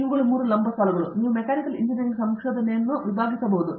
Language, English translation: Kannada, So, these are the 3 verticals that you can divide Mechanical Engineering research into